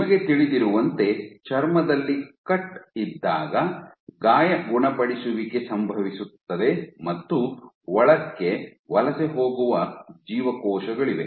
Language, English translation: Kannada, So, the question, you know wound healing occurs when we have a cut in our skin you have the cells which migrate inward